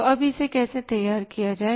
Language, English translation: Hindi, So, now how to prepare it